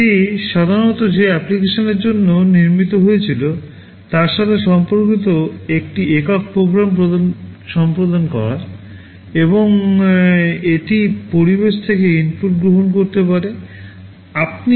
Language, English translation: Bengali, It typically it executes a single program related to the application for which it was built, and it can take inputs from the environment